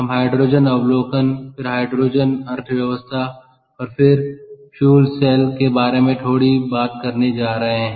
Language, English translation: Hindi, ok, so we are going to talk about hydrogen overview, ah, hydrogen economy, and then about fuel cells